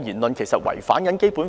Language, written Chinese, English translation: Cantonese, 他有否違反《基本法》？, Has he violated the Basic Law?